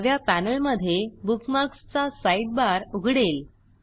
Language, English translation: Marathi, The Bookmarks sidebar opens in the left panel